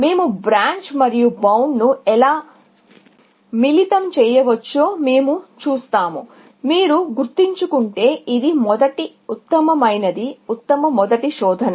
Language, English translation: Telugu, We will see that how we can combine Branch and Bound with, this was best first, if you remember; best first search